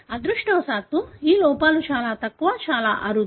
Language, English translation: Telugu, Fortunately, the errors are very, very minimal, extremely rare